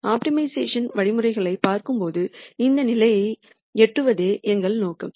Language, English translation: Tamil, When you look at optimization algorithms, the aim is for us to reach this point